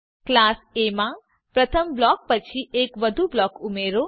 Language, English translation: Gujarati, Include one more block after the first one in class A